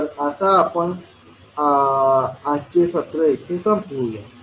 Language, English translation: Marathi, So now, we close the today's session here